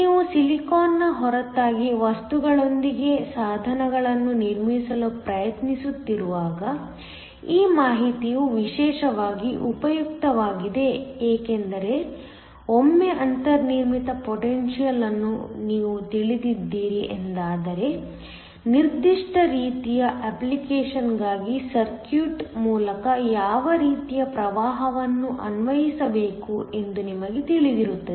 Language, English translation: Kannada, This information is especially useful when you are trying to built devices with materials apart from silicon because once you know the built in potential you are also know, what kind of current that it needs to be applied through the circuit for a particular kind of application